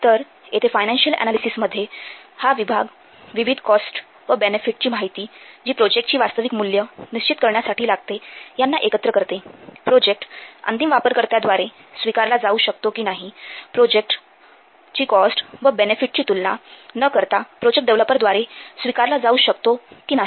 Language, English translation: Marathi, So, here in this content financial analysis, this will combine, this section will combine the various costs and benefit data to establish what will the real value of the project, whether the project can be accepted by the end user not, whether the project can be accepted by the developer not by comparing the cost and benefits